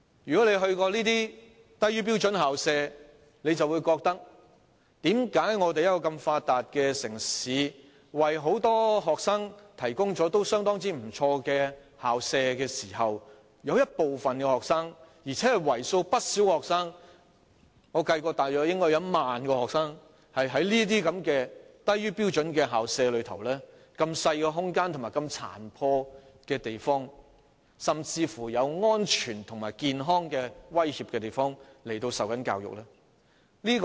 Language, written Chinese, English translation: Cantonese, 如果大家曾前往這些低於標準的校舍，便會覺得疑惑，為何香港這個如此發達的城市，為很多學生提供了相當不俗的校舍，但有部分而且是為數不少的學生——我曾計算應該大約有1萬名學生——竟在低於標準、細小、殘破不堪，甚至有安全及健康威脅的校舍接受教育呢？, Members who have visited these substandard school premises will wonder why in Hong Kong a developed city which provides many students with pretty good school premises some students who are by no means small in number―I have calculated that there should be about 10 000 of them―still receive education in substandard tiny and dilapidated school premises which even pose a threat to their safety and health